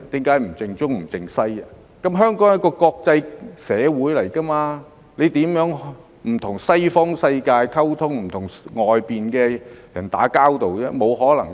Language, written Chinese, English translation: Cantonese, 因為香港是一個國際社會，如何能不跟西方世界溝通，不跟外面的人打交道呢？, Well since Hong Kong is an international metropolis how could it be possible for us to abstain from communicating with the Western world and not have any dealings with people outside?